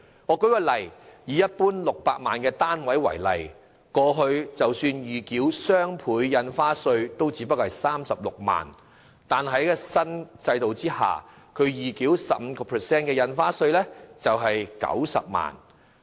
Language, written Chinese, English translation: Cantonese, 舉例來說，以一般600萬元的單位為例，過去即使預繳雙倍印花稅也只是36萬元，但在新制度下，預繳 15% 印花稅將需費90萬元。, For example for a flat sold at 6 million the buyer has to pay only 360,000 in advance previously as the Double Stamp Duty but under the new system the amount of stamp duty charged at 15 % payable will be 900,000